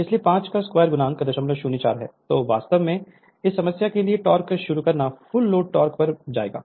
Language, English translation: Hindi, So, starting torque actually will becoming full load torque for this problem right